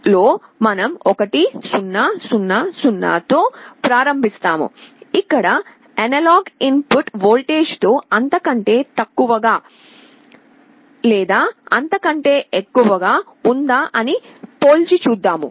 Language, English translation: Telugu, In the SAR we start with 1 0 0 0, we compare with the analog input voltage whether it is less than or greater than